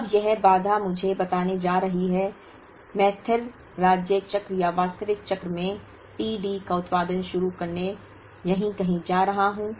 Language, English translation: Hindi, Now this constraint is going to tell me that, I am going to start producing t D in the steady state cycle or the actual cycle somewhere here